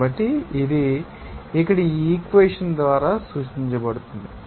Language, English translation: Telugu, So, it is represented by this equation here